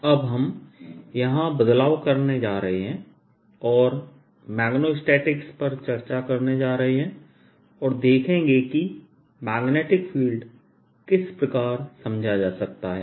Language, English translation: Hindi, we are now going to change spheres and go to discuss magneto statics and see how the magnetic field can be dealt with